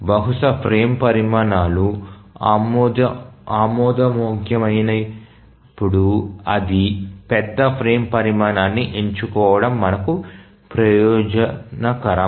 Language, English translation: Telugu, So, it is advantageous for us to select the largest frame size when multiple frame sizes are acceptable which meet the constraints